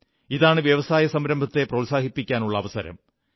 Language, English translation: Malayalam, This is an opportunity for encouraging entrepreneurship